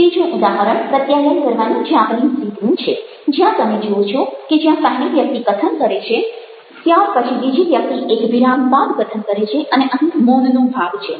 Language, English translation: Gujarati, one is example of the japanese way of communicating, where you see that the first person speaks, this is followed by the second person speaking after the pause, and here is a silence part of it